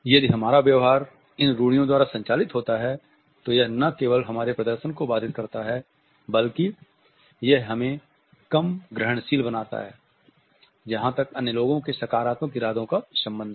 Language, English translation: Hindi, If our behavior is governed by these stereotypes then it not only inhibits our performance, but it also makes us less receptive as far as the other peoples positive intentions are concerned